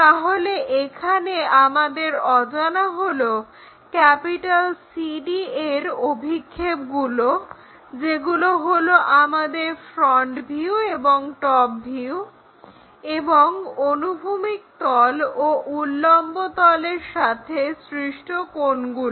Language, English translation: Bengali, So, here unknowns are projections of CD that is our front view and top view and angles with horizontal plane and vertical plane, these are the things which are unknown